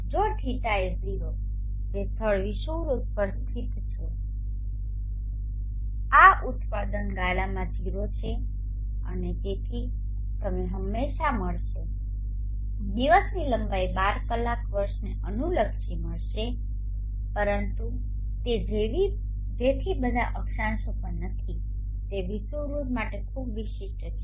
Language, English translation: Gujarati, If I0 which if the place is located at the equator this product term is 0 and therefore you will always find the length of the day is 12 hours irrespective of the time of the year but it is not so at all latitudes it is very, very specific to the equator